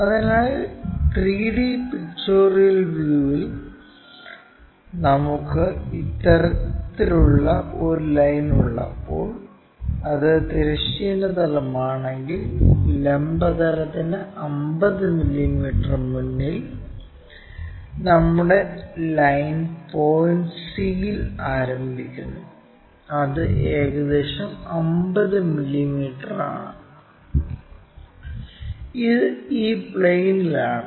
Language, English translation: Malayalam, So, when we have such kind of line in 3D pictorial view, if this is the horizontal plane, in front of vertical plane at 50 mm, our line point begins in capital C that is something like 50 mm, and it is in this plane